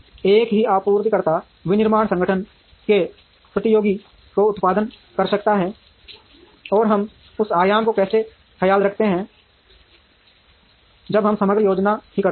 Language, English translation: Hindi, The same supplier may be producing to the competitor of the manufacturing organization, and how do we take care of that dimension, when we do the overall planning also